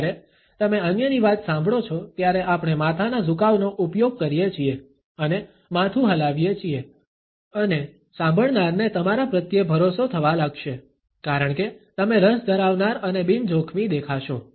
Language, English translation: Gujarati, When you listen to the others then we use the head tilts and head nods and the listener will begin to feel trusting towards you, because you would appear as interested as well as non threatening